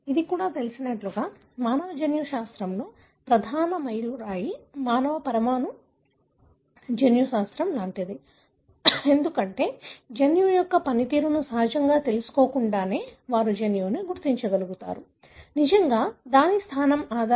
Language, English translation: Telugu, It was like a, you know, major landmark in human genetics, human molecular genetics, because they were able to identify a gene without really knowing the function of the gene, really based on its position